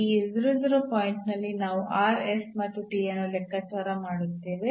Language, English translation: Kannada, So, at this 0 0 point, we will compute rs and t